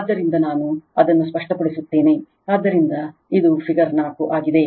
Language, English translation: Kannada, So, let me clear it, so this is figure 4